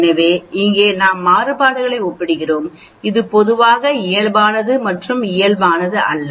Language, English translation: Tamil, So here we are comparing variances, this is generally valid both for normal and non normal